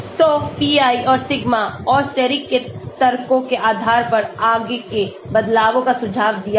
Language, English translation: Hindi, So, further changes suggested based on the arguments of pi and sigma and steric